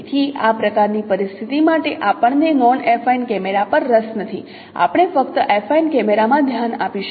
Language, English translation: Gujarati, So we are not interested on non affine cameras for this kind of situation